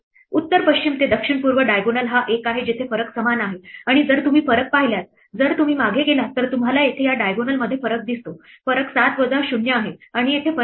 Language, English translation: Marathi, The north west to south east diagonal is the one where the difference is the same and if you look at the differences, if you go back then you see the differences at this diagonal here, the difference is 7 minus 0 is 7 and here the difference is 0 minus 7 is minus 7